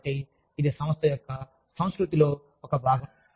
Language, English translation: Telugu, So, that forms, a part of the organization's culture